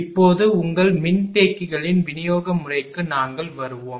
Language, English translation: Tamil, Now, when we will come to that application of your capacitors to distribution system